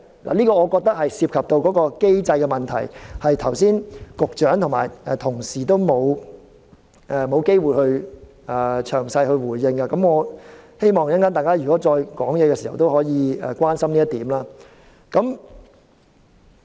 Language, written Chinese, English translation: Cantonese, 我認為這涉及機制的問題，剛才局長和同事都沒有機會詳細回應，我希望大家稍後發言時可以關心這一點。, I think neither the Secretary nor Honourable colleagues had the opportunity to respond in detail to these questions involving the mechanism . I hope that Members can pay attention to this point in their speeches later